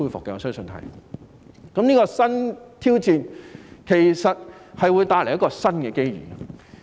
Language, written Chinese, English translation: Cantonese, 這個新挑戰其實會帶來新的機遇。, This new challenge will actually bring about new opportunities